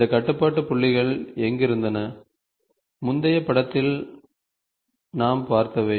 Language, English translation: Tamil, So, where in which you had these control points, what we saw in the previous figure